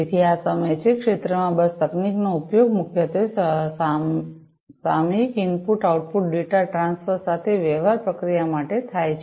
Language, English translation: Gujarati, So, these are time in the field bus technology is primarily used for manufacturing processes dealing with periodic input output data transfer